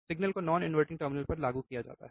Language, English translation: Hindi, Signal is applied to the non inverting terminal